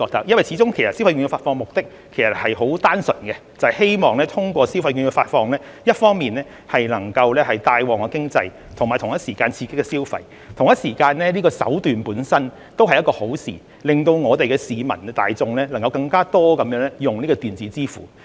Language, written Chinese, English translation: Cantonese, 因為，始終消費券發放的目的很單純，就是希望通過消費券的發放，一方面能夠帶旺經濟，並同時刺激消費，而發放的手段本身也是一件好事，可以令市民大眾能夠更多利用電子支付。, It is because the purpose of disbursing consumption vouchers is purely to boost the economy and stimulate consumption through such disbursement . And the means of disbursement per se is a good thing as it can facilitate the wider use of electronic payment by the general public